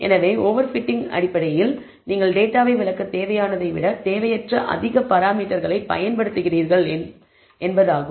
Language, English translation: Tamil, So, over fitting, basically means you are using unnecessarily more parameters than necessary to explain the data